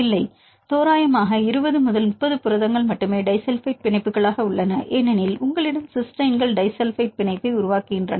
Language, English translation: Tamil, No, approximately 20 30 proteins only we have the disulfide bonds because you have cysteines and they form disulfide bonds